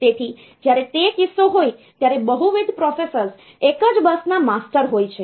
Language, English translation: Gujarati, So, when that is the case the multiple processors are masters of the same bus